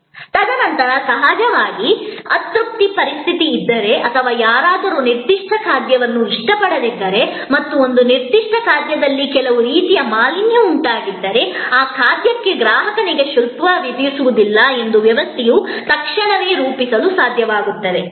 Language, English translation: Kannada, And then of course, you know, if there is an unsatisfactory situation or somebody did not like a particular dish and there was some kind of contamination in a particular dish, the system should be able to immediately create that the customer is not charged for that dish